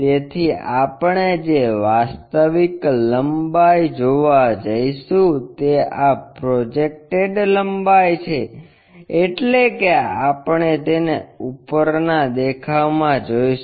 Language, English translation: Gujarati, So, the actual length what we are going to see is this projected length, that is we are going to see it in a top view